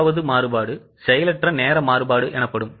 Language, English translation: Tamil, There can be third variance that is known as idle time variance